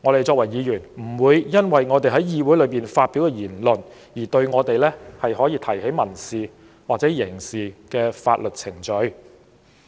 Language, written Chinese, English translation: Cantonese, 作為議員，我們不會因為在議會發表言論而被人提起民事或刑事法律訴訟。, No civil or criminal proceedings shall be instituted against Members for words spoken